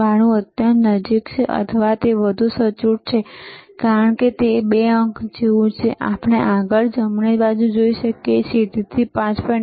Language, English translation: Gujarati, 92 are extremely close or or this is more accurate, because this is like 2 digit we can see further after right so, so 5